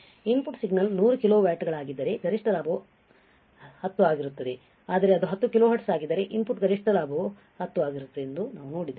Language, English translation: Kannada, We have seen that if the input signal was 100 kilo watts the maximum gain would be 10, but it is 10 kilo hertz the input maximum gain would be 10 right